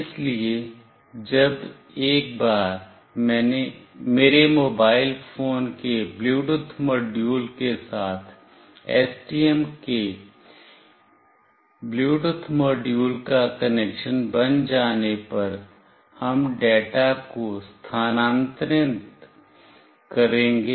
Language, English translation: Hindi, So, once the connection is built with the Bluetooth module of STM along with the Bluetooth module of my mobile phone, we will transfer the data